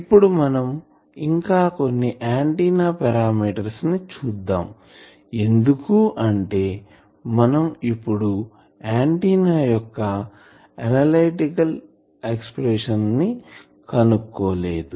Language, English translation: Telugu, Next, we will see the sum of the antenna parameters because always we said that we would not be able to find out the analytical expressions of the antenna